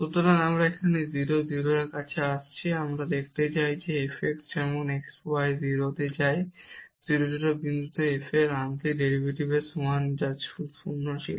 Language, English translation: Bengali, So, we are approaching to 0 0, we want to see whether f x as x y goes to 0 is equal to the partial derivative of f at 0 0 point which was 0 there